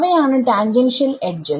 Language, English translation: Malayalam, Those are tangential edges right